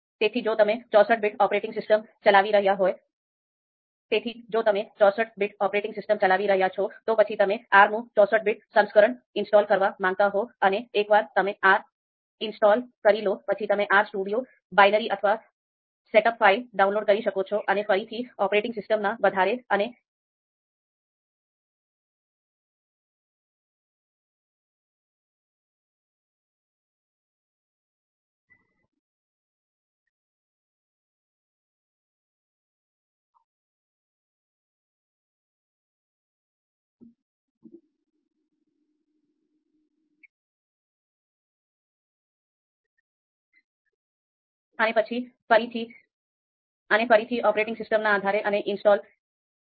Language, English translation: Gujarati, So if you are running a sixty four bit operating system, then probably you would like to install the sixty four version of R, sixty four bit version of R, and once you have installed R, then you can download the RStudio binary or setup file and depending on the operating system again if it is sixty four bit, then you download the same and install it